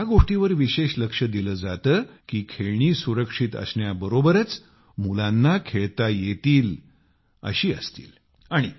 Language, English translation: Marathi, Here, special attention is paid to ensure that the toys are safe as well as child friendly